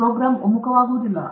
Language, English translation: Kannada, The program will not converge